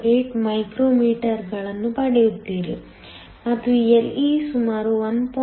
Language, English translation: Kannada, 08 micrometers and Le, can do a similar calculation to be around 1